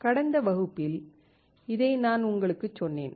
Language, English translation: Tamil, This what I had told you in the last class